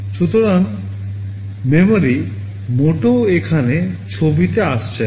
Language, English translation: Bengali, So, memory is not coming into the picture here at all